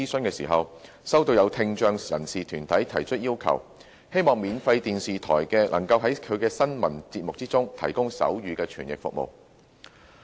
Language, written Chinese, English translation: Cantonese, 其間，收到有聽障人士團體提出要求，希望免費電視台能夠在其新聞節目中提供手語傳譯服務。, In the exercise a request was received from deputations of people with hearing impairment who hoped that free television stations would provide sign language interpretation service in their news programmes